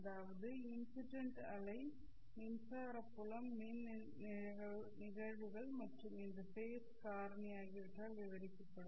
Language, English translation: Tamil, That is, incident wave will be described by the electric field, e incidence, and this phase factor